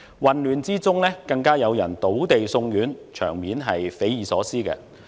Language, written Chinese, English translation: Cantonese, 混亂中更有人倒地送院，場面匪夷所思。, Someone fell on the ground and was admitted to hospital during the chaos which was unbelievable